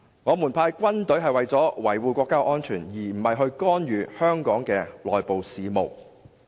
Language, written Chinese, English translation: Cantonese, 我們派軍隊是為了維護國家安全，而不是干預香港的內部事務。, We shall station troops there to safeguard our national security not to interfere in Hong Kongs internal affairs